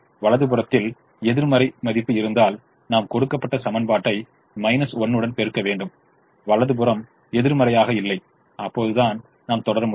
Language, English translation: Tamil, if we had a negative value on the right hand side, we have to multiply with a minus one, get the right hand side non negative and only then we will proceed